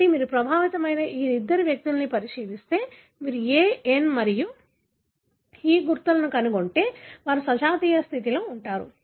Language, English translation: Telugu, So, if you look into these two individual that are affected and you will find markers A, N and E, you know, they remain in homozygous condition